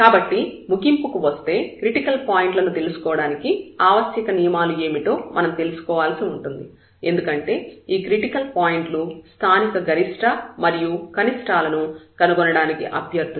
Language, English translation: Telugu, So, coming to the conclusion here, so what are the necessary conditions we need to know the critical points because, these critical points are the candidates for the local maximum and minimum